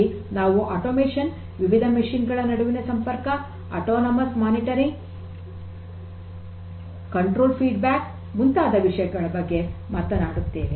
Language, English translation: Kannada, 0, we are talking about a lot about you know automation, connectivity between these different machines autonomously, autonomous monitoring, control feedback control and so on